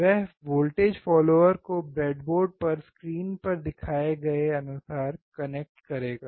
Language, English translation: Hindi, He will connect the voltage follower as shown on the screen on the breadboard